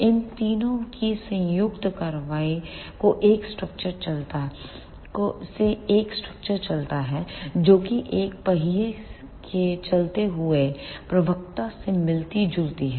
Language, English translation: Hindi, The combined action of these three result in a structure resembling the moving spokes of a wheel